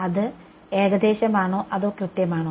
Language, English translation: Malayalam, Is that approximate or exact